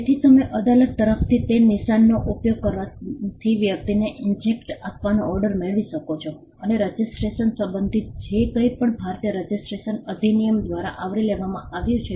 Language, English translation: Gujarati, So, you could get an order from the court to inject the person from using that mark and anything that pertain to registration was covered by the Indian Registration Act